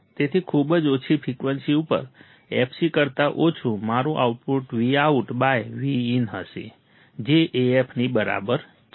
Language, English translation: Gujarati, So, at very low frequencies, f less than fc, my output will be Vout by Vin equals to AF right